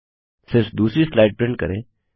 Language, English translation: Hindi, Print only the 2nd slide